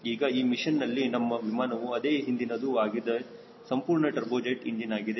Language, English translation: Kannada, our aircraft is same as the previous one, is pure turbojet engine